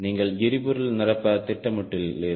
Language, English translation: Tamil, you plan for a refueling